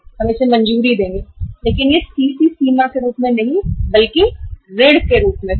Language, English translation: Hindi, We will sanction this but that will be in the form of loan, not as a CC limit